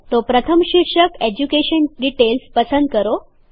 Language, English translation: Gujarati, So first select the heading EDUCATION DETAILS